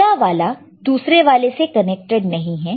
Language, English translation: Hindi, The next one is not connected to second one